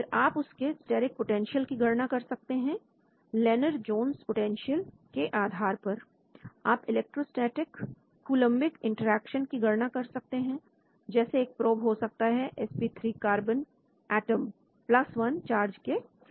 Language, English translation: Hindi, Then, you calculate the steric using Lennar Jones potential, you calculate the electrostatic Coulombic interactions so a probe could be sp3 carbon atom with charge +1 that is the probe